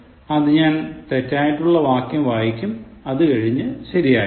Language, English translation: Malayalam, So, I will read the incorrect one first, and then go to the correct one